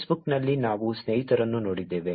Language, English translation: Kannada, In Facebook, we saw friends